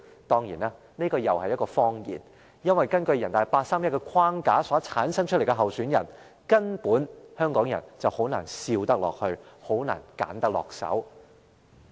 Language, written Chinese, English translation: Cantonese, 誠然，這又是一個謊言，因為，根據人大常委會八三一框架產生出的候選人，香港人根本難以選擇，也難以帶笑投票。, This is undoubtedly just another lie because with candidates nominated under the 31 August framework laid down by NPCSC Hong Kong people would not be given any real choices and would never be able to vote with a smile